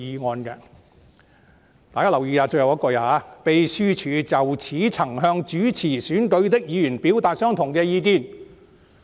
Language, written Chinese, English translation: Cantonese, "大家要留意最後一句："秘書處就此亦曾向主持選舉的議員表達相同的意見。, Honourable colleagues attention should be drawn to the last sentence The Secretariat has also expressed similar views to the presiding Member